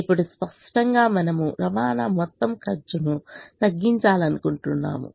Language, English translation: Telugu, obviously there is going to be a cost of transportation